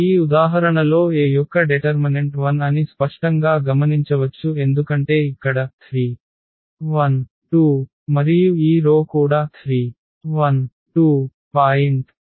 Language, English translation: Telugu, So, in this example we can observe that this determinant of this A is 0 which is clearly visible because here 3 1 2 and this row is also 3 1 2